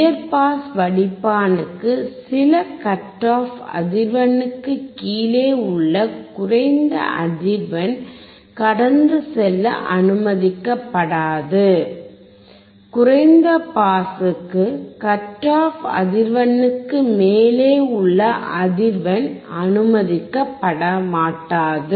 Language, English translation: Tamil, For the high pass filter, certain low frequency below the cut off frequency will not be allowed to pass; for the low pass filter the frequency above the cut off frequency will not be allowed to pass